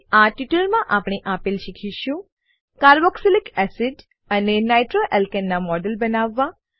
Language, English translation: Gujarati, In this tutorial, we will learn to * Create models of carboxylic acid and nitroalkane